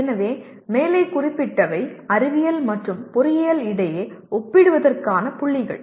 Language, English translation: Tamil, So the highlighted points are the points for comparison between science and engineering